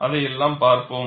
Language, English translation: Tamil, All that, we will see